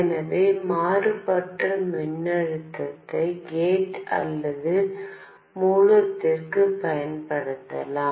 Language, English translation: Tamil, So, so, the varying voltage can be applied to gate or source